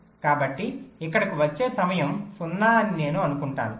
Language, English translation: Telugu, so i assume that the arrival time here is zero